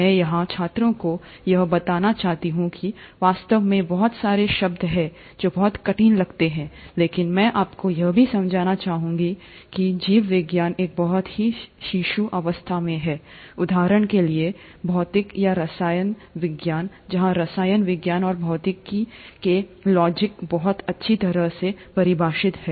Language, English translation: Hindi, I would like to bring out to the students here that indeed there are lot of terms which seem very difficult, but I would also like you to understand that biology is at a very infant stage, in comparison to, for example physics or chemistry, where the logics of chemistry and physics are very well defined